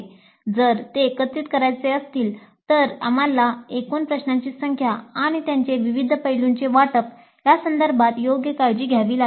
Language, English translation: Marathi, If it is to be integrated we have to take an appropriate care with respect to the total number of questions and their allocation to different aspects